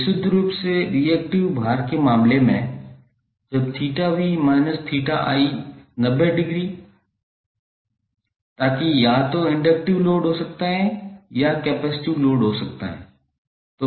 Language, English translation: Hindi, In case of purely reactive load when theta v minus theta i is equal to 90 degree, so that can be either inductive load or the capacitive load, the power factor would be 0